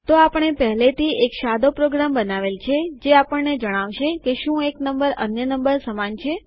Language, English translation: Gujarati, So we would have already created a simple program to tell us if one number equals another